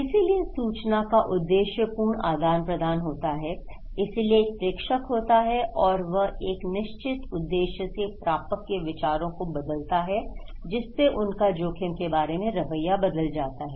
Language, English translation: Hindi, So, purposeful exchange of information, so one sender is there and he would like to he or she would like to change the mind of the receiver in the way, they perceived the risk, their attitude about preparedness